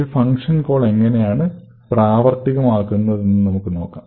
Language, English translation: Malayalam, So, let us see how function calls are resolved in practice